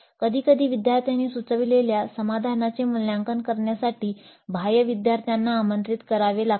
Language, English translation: Marathi, Sometimes external may have to be invited to sit in and evaluate the solution proposed by the students